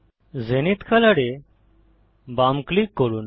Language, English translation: Bengali, Left click Zenith colour